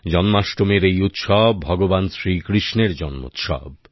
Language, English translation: Bengali, This festival of Janmashtami, that is the festival of birth of Bhagwan Shri Krishna